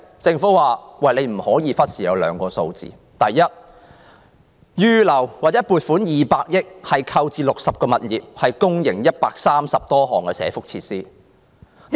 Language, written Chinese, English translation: Cantonese, 政府說不要忽視"利民生"：第一，撥款200億元用來購置60個物業，營辦130多項社福設施。, The Government says it will not neglect strengthening livelihoods . First it will allocate 20 billion for the purchase of 60 properties to accommodate more than 130 welfare facilities